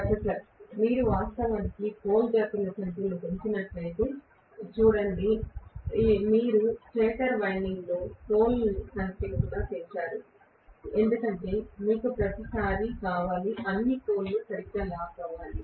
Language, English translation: Telugu, See even if you actually increase the number of pole pairs correspondingly you would also have increased the number of poles in the stator winding because you want every time, all the poles to lock up properly